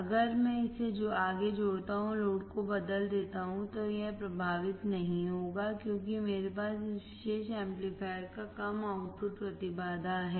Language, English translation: Hindi, If I connect this further and change the load, it will not be affected because I have low output impedance of this particular amplifier